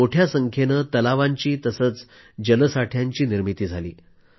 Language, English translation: Marathi, A large number of lakes & ponds have been built